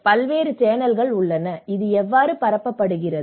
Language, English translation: Tamil, And what are the various channels, how this is disseminated